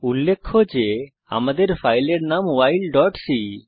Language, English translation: Bengali, Note that our file name is while.c